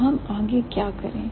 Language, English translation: Hindi, So, what should we do next